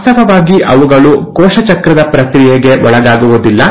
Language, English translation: Kannada, They, in fact do not undergo the process of cell cycle